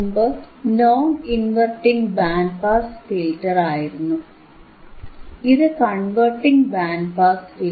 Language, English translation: Malayalam, So, earlier it was non inverting band pass filter, this is inverting band pass filter